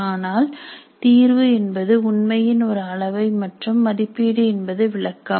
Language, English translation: Tamil, Now assessment actually is a measure of performance and evaluation is an interpretation of assessment